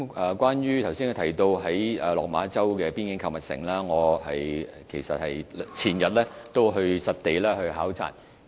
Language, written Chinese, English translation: Cantonese, 有關他剛才提到的落馬洲邊境購物城，我前天亦曾作實地考察。, Regarding the shopping centre in Lok Ma Chau just mentioned by him I paid a site visit a couple of days ago